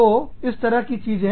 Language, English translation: Hindi, So, stuff like this